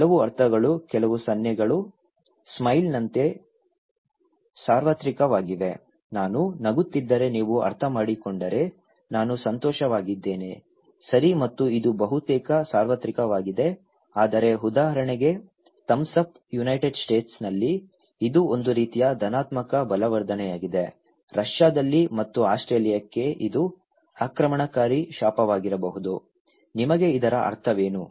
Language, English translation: Kannada, Some meanings, some gestures are very universal like smile, if I smile you understand I am happy, okay and it is almost universal but for example, the thumbs up, okay in United States, it is a kind of positive reinforcement, in Russia and Australia it could be an offensive curse for this one, what is the meaning of this one to you okay